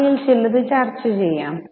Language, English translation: Malayalam, So, we will discuss a few of them